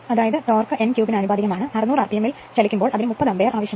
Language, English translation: Malayalam, That means, torque is professional to n cube, while running at 600 rpm it takes 30 ampere